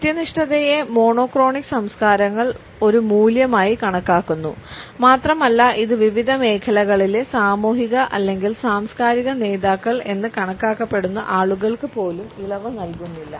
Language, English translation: Malayalam, Punctuality is considered by monochronic cultures as a value and it is not relaxed even for those people who are considered to be as social or cultural leaders in different fields